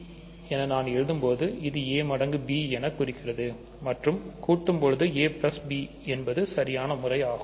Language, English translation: Tamil, I just write ab to denote the multiplication of a and b when you are adding a write a plus b ok